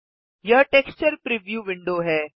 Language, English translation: Hindi, This is the texture preview window